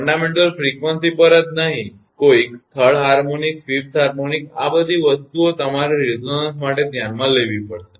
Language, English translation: Gujarati, Not only at fundamental frequencies some third harmonic, fifth harmonic all these things you have to taste for resonance